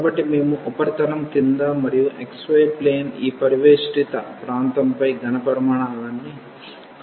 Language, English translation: Telugu, So, we want to find the volume below the surface and over this enclosed area in the xy plane